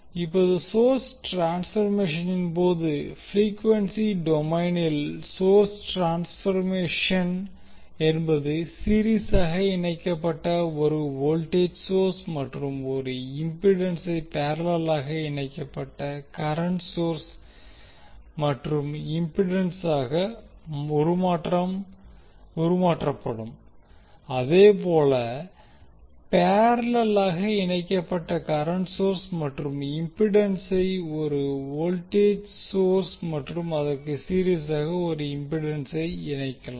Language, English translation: Tamil, Now in case of source transformation the, in frequency domain the source transformation involves the transforming a voltage source in series with impedance to a current source in parallel with impedance or vice versa that means if you have current source in parallel with impedance can be converted into voltage source in series with an impedance